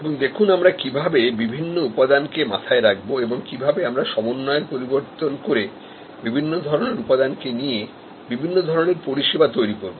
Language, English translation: Bengali, So, we see, how we look at the different elements and we can change match, mix and match and create different kinds of services